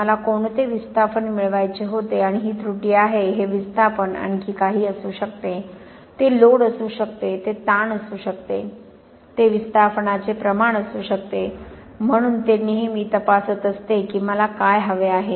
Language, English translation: Marathi, What is the displacement I wanted to get and this is the error, this displacement could be something else also, it could be load, it could be strain, it could be rate of displacement, so it is always checking what did I want